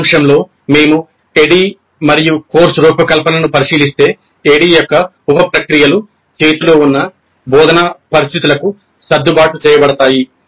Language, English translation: Telugu, So, in summary if you look at ADD and course design, the sub process of ADE can be adjusted to instructional situation on hand